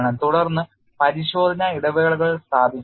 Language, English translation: Malayalam, Then you do the inspection intervals